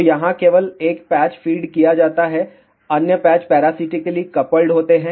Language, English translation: Hindi, So, here only 1 patch is fed other patches are parasitically coupled